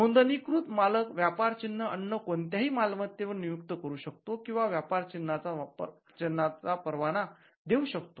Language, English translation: Marathi, The registered proprietor may assign or license the trademark as any other property